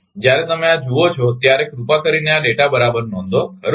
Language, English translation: Gujarati, when you see this you please note down this data right